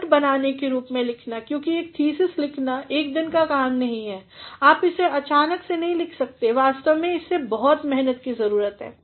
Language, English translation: Hindi, Writing in the form of note making, because a thesis writing is not a one day affair, you cannot write it just as spontaneously it actually requires a lot of labour